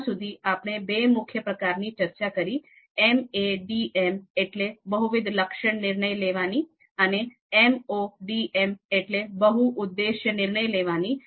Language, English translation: Gujarati, So within MCDM till now, we talked about two main categories; MADM, multi attribute decision making and MODM, multi objective decision making